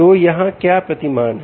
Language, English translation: Hindi, so what is the paradigm here